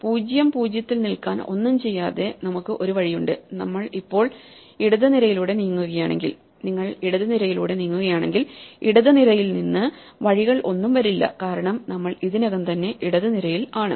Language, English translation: Malayalam, So, we have one way by just doing nothing to stay in (0, 0) and if we are now moving along the left column, if you are moving along the left column then there are no paths coming from its left because we are already on the leftmost column